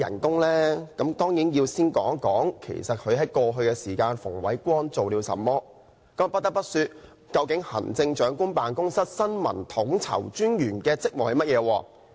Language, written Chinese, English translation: Cantonese, 當然要先談談其實馮煒光過去做了甚麼？不得不提的是，究竟行政長官辦公室新聞統籌專員的職務是甚麼？, Of course I should begin by saying a few words about what Andrew FUNG has done and most importantly the duties of the Information Co - ordinator of the Chief Executives Office